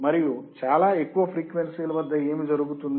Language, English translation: Telugu, And what will happen at very high frequencies